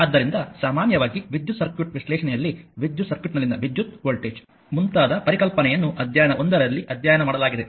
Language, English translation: Kannada, So, generally your in the in the electrical circuit analysis, right the concept such as current voltage and power in an electrical circuit have been we have studied in the chapter 1